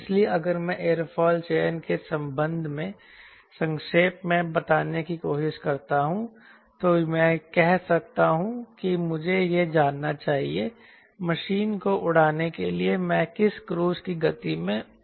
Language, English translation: Hindi, so if i try to summarize as far as airfoil selection is concerned loosely, i can say i need to know what is the cruise speed i am going to fly the machine, i need to know takeoff and landing distance required and also stall speed